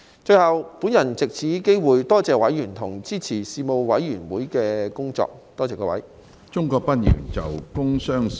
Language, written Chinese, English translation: Cantonese, 最後，我藉此機會多謝委員支持事務委員會的工作，多謝各位。, Finally I would like to take this opportunity to thank members for their support for the work of the Panel . Thank you